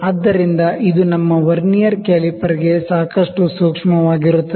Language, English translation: Kannada, So, this is quite sensitive to our Vernier caliper